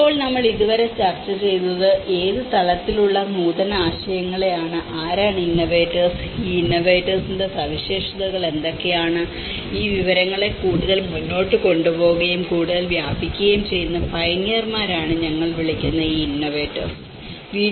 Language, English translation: Malayalam, Now, till now what we discussed is the innovations at what level, who are these innovators okay and what are the characteristics of these innovators; an external influence that is where these innovators we call are the pioneers who take this information further and diffuse it further